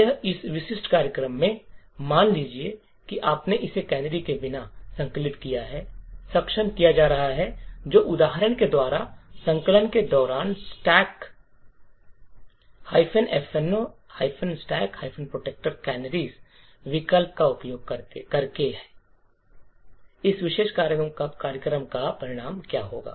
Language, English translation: Hindi, That is in this very specific program suppose you have compiled it without canaries being enabled that is by example using the minus f no canaries option during compilation, what would be the result of this particular program